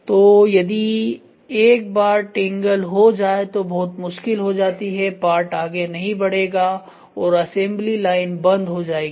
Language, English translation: Hindi, So, once it tangles then it becomes very difficult the part will not flow the assembly line will stop